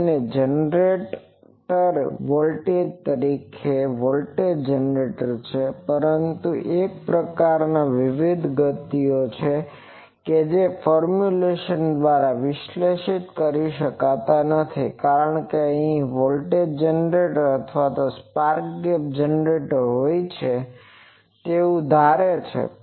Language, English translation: Gujarati, So that and also the generator that is a voltage generator, but other types of various speeds that cannot be analyzed by this formulation, because it always assumed that there is a voltage generator or spark gap generator there